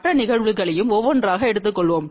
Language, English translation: Tamil, We will take other cases also one by one